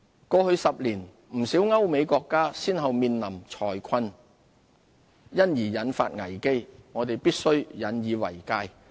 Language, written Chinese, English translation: Cantonese, 過去10年，不少歐美國家先後面臨財困而引發危機，我們必須引以為戒。, The economic crises caused by the financial plight of many European countries and the United States in the past decade have pointed to pitfalls that Hong Kong should avoid